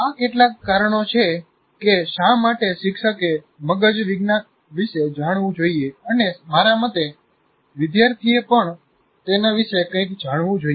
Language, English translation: Gujarati, Now that is, these are some reasons why, why teachers should know about brain science and in my opinion even the students should know something about it